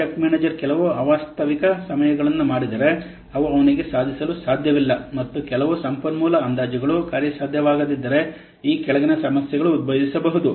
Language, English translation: Kannada, If the project manager committed some unrealistic times which he cannot achieve at all and some resource estimates which is not feasible at all, then the following problems might arise